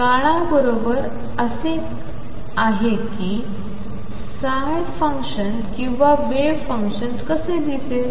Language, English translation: Marathi, With time this is how the psi function or the wave function is going to look like